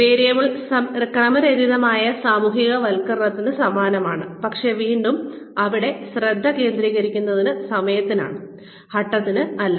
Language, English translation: Malayalam, Variable is similar to random socialization, but, the time again, here the focus is on time, not on the steps